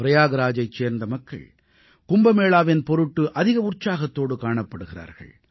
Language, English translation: Tamil, People of Prayagraj are also very enthusiastic about the Kumbh